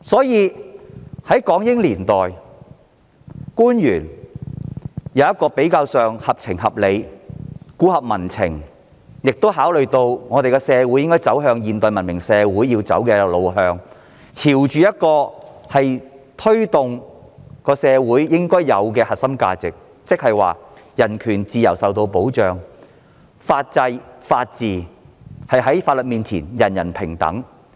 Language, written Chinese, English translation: Cantonese, 因此，港英年代的官員比較合情合理和顧及民情，考慮到社會需朝着現代文明社會的路向發展，並推動社會應有的核心價值，令人權自由受保障，在當時的法制及法治下，做到法律面前人人平等。, In contrast under the British rule officials were comparatively more sensible and reasonable . They paid more attention to social conditions understood the need of developing our society into a modern civilized society and promoted the core social values essential for social development in order to safeguard human rights and freedom thereby achieving equality before the law for everyone under the legal system and rule of law back then